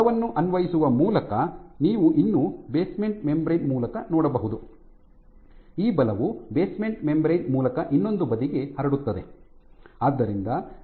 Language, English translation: Kannada, So, you can still by exerting forces, these forces will get transmitted through the basement membrane to the other side